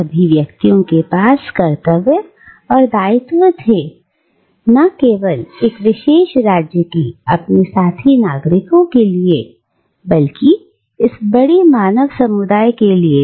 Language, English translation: Hindi, And any individual had duties and obligations, not just to his fellow citizens of a particular state, but also to this greater human community